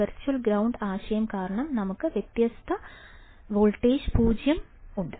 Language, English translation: Malayalam, And then because of the virtual ground concept we have difference voltage zero